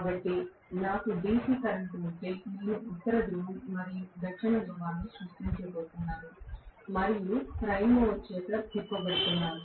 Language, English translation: Telugu, So, if I have DC current I am going to have fixed North Pole and South Pole created and I am going to have that being rotated by the prime mover